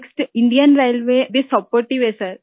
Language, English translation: Hindi, Next, Indian Railway too is supportive, sir